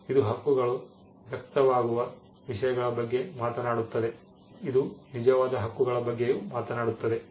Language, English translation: Kannada, It talks about the things on which the rights are manifested, and it also talks about the actual rights